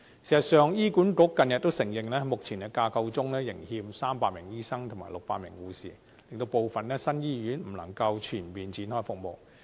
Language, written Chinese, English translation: Cantonese, 事實上，醫院管理局近日承認，目前架構中仍欠300名醫生及600名護士，令部分新醫院不能全面展開服務。, In fact the Hospital Authority HA has admitted recently that the existing structure still requires 300 additional doctors and 600 additional nurses which makes it impossible for some new hospitals to launch services in a comprehensive manner